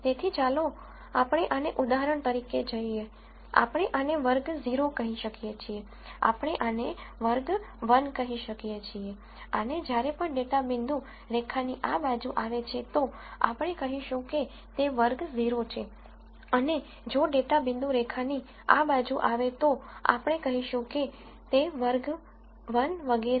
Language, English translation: Gujarati, So, let us call this for example, we could call this class 0 we could call this class 1 and, we would say whenever a data point falls to this side of the line, then it is class 0 and if a data point falls to this side of the line, we will say it is class 1 and so on